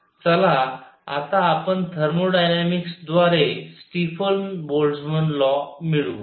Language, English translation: Marathi, Now let us get Stefan Boltzmann law by thermodynamics